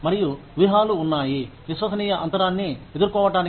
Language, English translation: Telugu, And, there are strategies, to deal with the trust gap